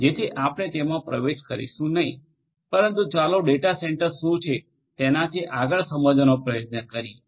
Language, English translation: Gujarati, So, we will not get into that, but let us try to understand beyond what is a data centre